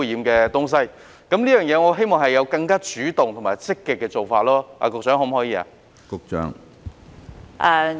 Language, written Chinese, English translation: Cantonese, 我希望政府會有更主動和積極的做法，局長，可以嗎？, I hope that the Government will take a more proactive and positive approach . Secretary is it possible?